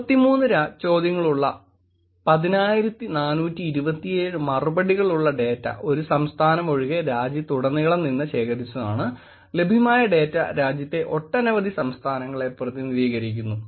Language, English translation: Malayalam, 10,427 respondents with 83 questions and it was all collected all over the country except from one state, the data that is available represents from a many, many states in the country